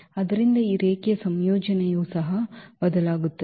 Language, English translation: Kannada, So, this linear combination will also change